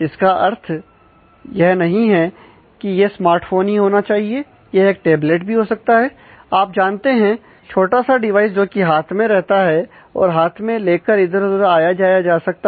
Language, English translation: Hindi, So, it this is not necessarily mean that, it has to be a smart phone, it could be a tablet or you know some small device, which typically is handled and carried around